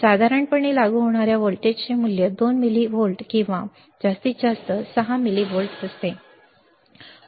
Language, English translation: Marathi, Typically, value of voltage to be applied is 2 millivolts and maximum is 6 millivolts